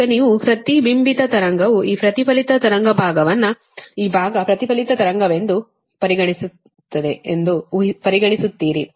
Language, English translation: Kannada, now you consider the reflected wave, will consider this reflected wave part, this part, this part right reflected wave